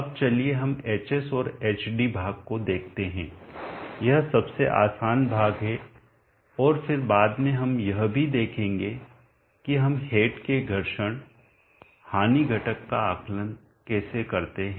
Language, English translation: Hindi, Now let us see the hs and hd part, this is the easier part and then later we will see how we go about estimating the friction loss component of the head also